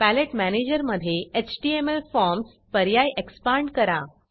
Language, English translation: Marathi, In the palette manager expand the HTML forms options Select the Form items